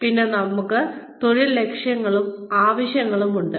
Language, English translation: Malayalam, Then, we have career motives and needs